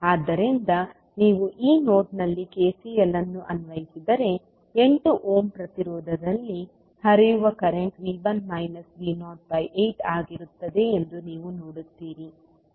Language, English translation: Kannada, So, if you apply KCL at this node you will see that current flowing in 8 ohm resistance will be V 1 minus V naught by 8